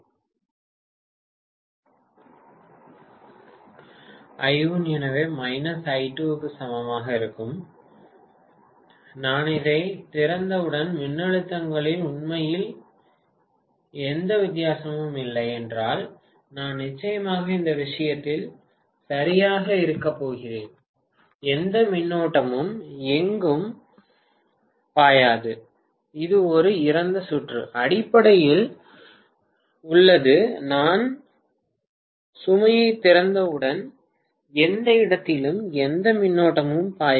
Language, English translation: Tamil, Right I1 will be equal to minus I2 and I am definitely going to have right in this case if I am really not having any difference in the voltages once I open this out, no current will flow anywhere, it is a dead circuit basically, there is no question of any current flowing anywhere as soon as I open the load